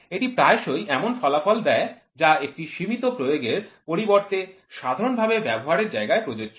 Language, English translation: Bengali, This often gives result that are of general use rather than a restricted application